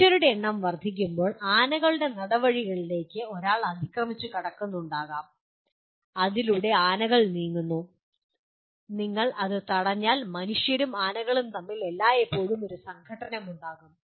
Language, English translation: Malayalam, And when the human populations increase, one may be encroaching on to the elephant corridors through which the elephants move and once you cross that there is always a conflict between humans and elephants